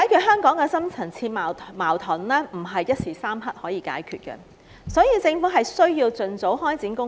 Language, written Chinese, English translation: Cantonese, 香港的深層次矛盾，不是一時三刻可以解決，所以政府必須盡早開展工作。, Hong Kongs deep - seated conflicts may not be resolved in a flash and the Government must start taking action as early as possible to tackle them